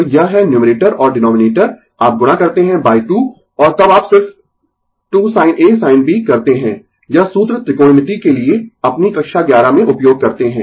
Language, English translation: Hindi, So, it is numerator and denominator you multiply by 2, and then you just 2 sin A sin B formula use for your class eleven trigonometry right